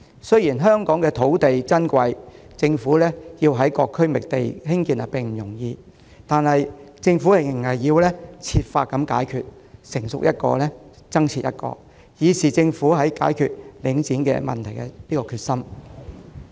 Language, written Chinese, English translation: Cantonese, 雖然香港土地珍貴，要在各區覓地興建這些設施並不容易，但政府仍要設法解決問題，任何興建方案一旦成熟就付諸落實，以示政府解決領展問題的決心。, While it is not easy to identify sites in various districts for the construction of these facilities―with land being a precious commodity in Hong Kong the Government must nevertheless find ways to resolve the problem . As a show of the Governments resolve in tackling the problem of Link REIT any construction proposal that reached maturity should be implemented right away